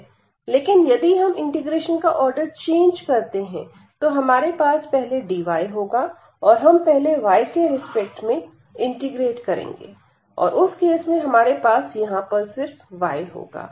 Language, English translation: Hindi, So, you will have here dy first we will be integrating with respect to dy and in that case we have only this y there